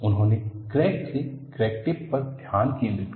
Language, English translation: Hindi, He shifted the focus from the crack to the crack tip